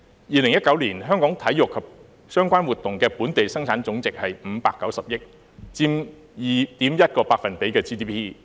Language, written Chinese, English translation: Cantonese, 2019年，香港體育及相關活動的本地生產總值是590億元，佔 2.1% GDP。, In 2019 the Gross Domestic Product GDP of Hong Kongs sports and related activities was 59 billion representing 2.1 % of the total GDP